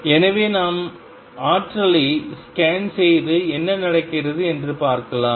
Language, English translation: Tamil, So, we can scan over the energy and see what happens